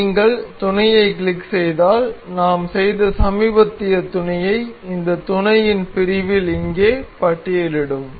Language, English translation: Tamil, If you click the mating the recent mate that we have done it can be is listed here in this mate section